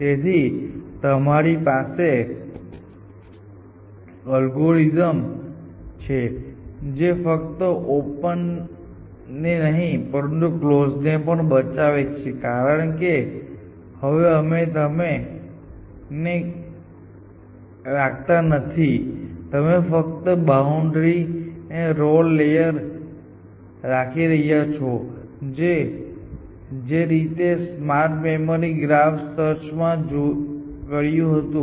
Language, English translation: Gujarati, So, even algorithm which is not only saves on open it also saves on closed because you are no longer keeping the close you only keeping the boundary and then relay layers essentially exactly like what smart memory graph search would have done